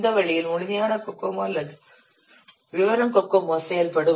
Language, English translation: Tamil, In this way, the complete Kokomo or the detailed Kokomo it works